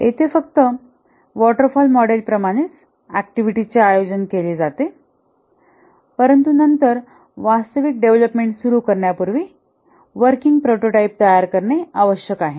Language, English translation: Marathi, Here, just like the waterfall model, the activities are organized but then before starting the actual development, a working prototype must be built